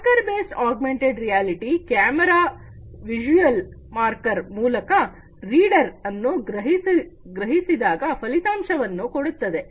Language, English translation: Kannada, Marker based augmented reality gives an outcome when the reader is sensed by the camera and the visual marker